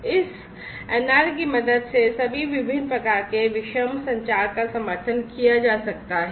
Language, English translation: Hindi, So, all these different types of heterogeneous communication could be supported with the help of this NR